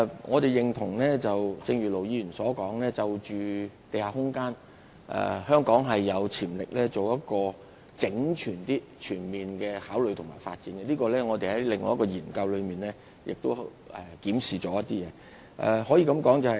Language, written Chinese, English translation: Cantonese, 我們認同盧議員所說，在地下空間方面，香港有潛力進行整全、全面的考慮和發展，就此我們已在另一項研究中進行檢視。, I agree with Ir Dr LO that as far as the issue of underground space is concerned Hong Kong does have the potential to address it with consolidated and comprehensive consideration and development and in this connection a review has already been conducted in the other study